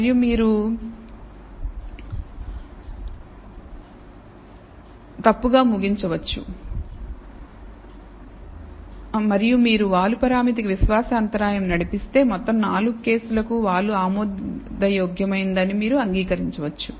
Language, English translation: Telugu, And if you run a confidence interval for the slope parameter, you may end up accepting that this slope is acceptable for all 4 cases